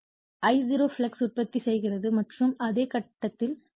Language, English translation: Tamil, Therefore, I0 produces the flux and in the phase with the flux